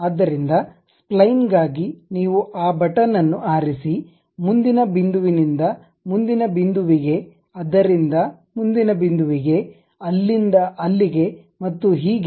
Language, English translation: Kannada, So, for spline you pick that button, next point from next point to next point from there to there and so on